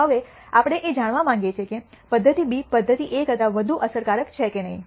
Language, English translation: Gujarati, Now, we want to know whether method B is more effective than method A